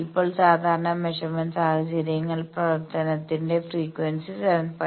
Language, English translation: Malayalam, Now, typical measurement scenarios suppose frequency of operation is 7